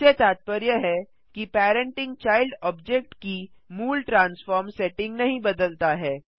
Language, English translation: Hindi, This means that parenting does not change the original transform settings of the child object